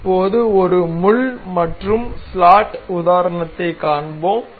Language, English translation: Tamil, Now, we will see pin and slot kind of example